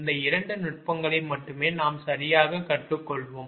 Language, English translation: Tamil, these two techniques only we will learn right